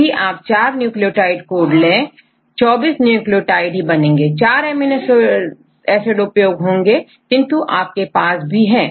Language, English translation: Hindi, If you take one to one, 4 nucleotides mean code for only the 4 nucleotides, 4 amino acids, but you have 20